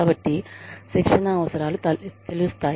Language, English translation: Telugu, So, training needs are revealed